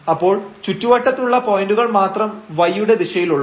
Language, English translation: Malayalam, So, we are in only the neighborhoods points are in this direction of y